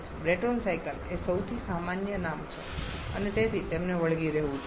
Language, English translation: Gujarati, Brayton cycle is the most common name and therefore shall be sticking to that